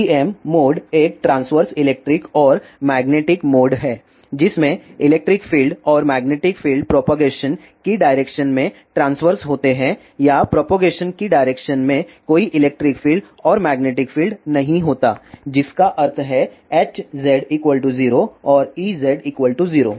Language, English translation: Hindi, TEM mode is a transverse electric and magnetic mode in which electric field and magnetic fields are transverse to the direction of propagation or there is no electric and magnetic field in the direction of propagation that means, H z is equal to 0 and E z is equal to 0